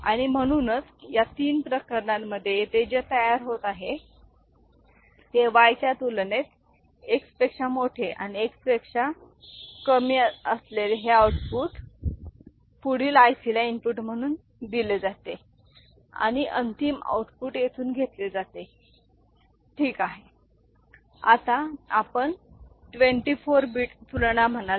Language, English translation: Marathi, And, so, these outputs X greater than Y equal to Y and X less than Y whatever is getting generated here in this three cases are fed as input to the next IC and the final output is taken from here, ok, is it clear